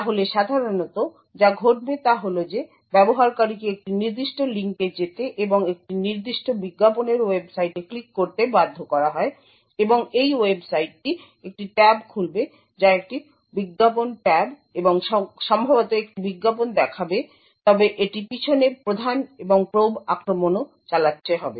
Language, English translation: Bengali, So what would typically happen is that the user is made to go to a particular link and click on a particular advertising website and this website would open a tab which is an advertisement tab and maybe show display an advertisement but also in the background it would be running the prime and probe attack